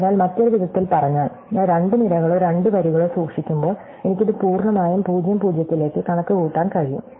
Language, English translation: Malayalam, So, in other words while I’m just keeping two columns or two rows, I can completely compute this thing back to 0 0